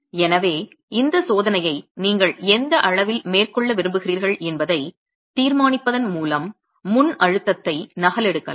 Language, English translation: Tamil, So you can replicate the pre compression by deciding at what level you want to carry out this test